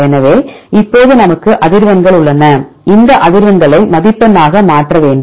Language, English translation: Tamil, So, fine now we have the frequencies, we need to convert these frequencies into score